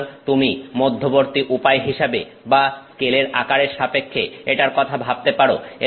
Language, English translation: Bengali, So, that maybe you can think of it as an intermediate way of in terms of the size scale